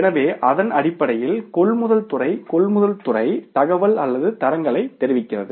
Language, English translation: Tamil, So, on the basis of that the purchase department, procure department is communicated, the information or the standards